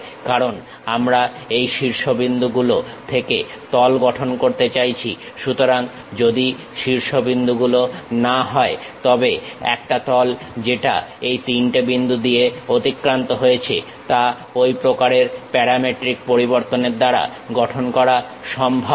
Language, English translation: Bengali, Because, we want to construct surface from these vertices; so, once vertices are not, a surface which pass through these three points can be constructed using such kind of parametric variation